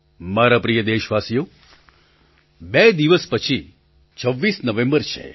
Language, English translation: Gujarati, My dear countrymen, the 26th of November is just two days away